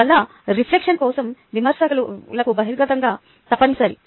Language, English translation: Telugu, hence, openness to criticism is a must for reflection